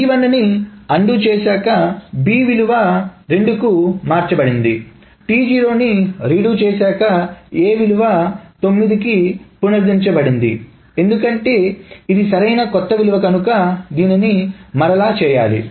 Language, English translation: Telugu, So then this will undoing of T1 will restore the value of B back to 2 and redoing of T0 will restore the value of A to 9 because this is a new value that needs to be data